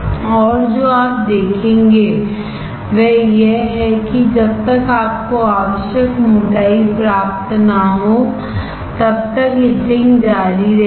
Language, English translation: Hindi, And what you will see is it will keep on etching until the thickness that you require